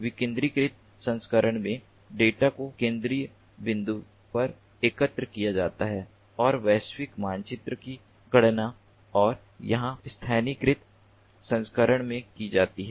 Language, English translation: Hindi, in the decentralized version the data are collected at the central point and global map is computed